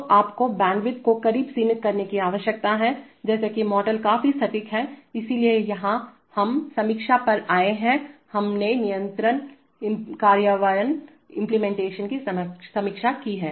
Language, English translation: Hindi, So you need to limit the close to bandwidth such that the models are fairly accurate, so here we have come to the review, we have reviewed controller implementation